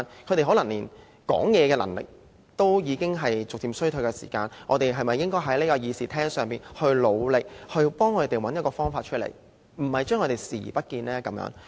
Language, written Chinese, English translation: Cantonese, 他們說話的能力可能逐漸衰退，我們是否應該在這個會議廳中，為他們努力，幫助他們找一個方法，而不是對他們視而不見？, Their speaking ability may be deteriorating and should we in this Council endeavour to help them find a way instead of turning a blind eye to them?